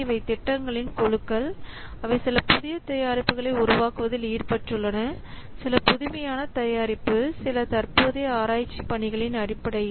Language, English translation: Tamil, So these are the groups of projects which are involved in developing some new products, some innovative product, based on some current research work